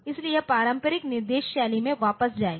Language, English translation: Hindi, So, it will be going back to the conventional instruction style